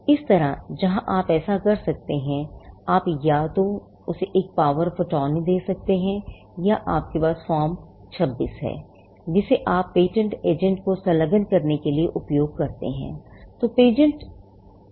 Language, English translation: Hindi, Similarly, here you do that by, you could either give her a, give a power of attorney or you have Form 26, which you use to engage a patent agent